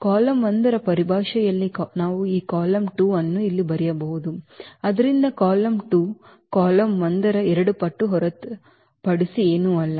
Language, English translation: Kannada, We can write down this column 2 here in terms of column 1, so column 2 is nothing but the two times the column 1